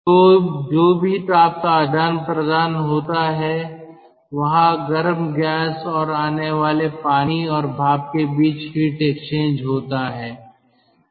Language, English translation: Hindi, so whatever heat exchange is there, heat exchange is there between the hot gas and the incoming ah, water, ah and steam